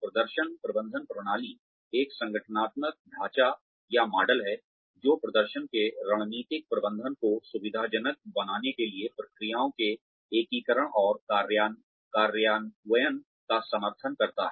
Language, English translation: Hindi, Performance management system is an organizational framework or model, that supports the integration and implementation of processes to facilitate the strategic management of performance